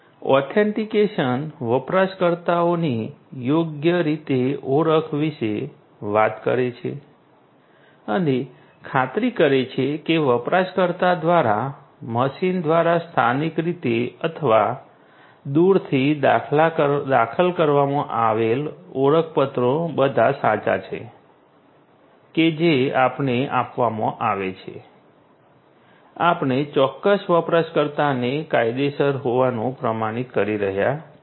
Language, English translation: Gujarati, Authentication talks about identification of user correctly and ensuring that the credentials that are entered locally or remotely through the machine by the user are all correct and we are given, we are authenticating a particular user to be a legitimate one